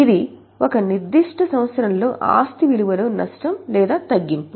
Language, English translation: Telugu, This is a loss or reduction in the value of asset in a particular year